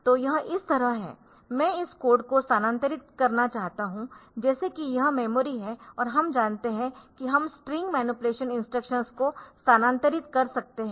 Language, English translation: Hindi, So, it is like this , so it is like this that I want to MOV this code like if this is if this is the memory and we have found that I can transfer the string manipulation instructions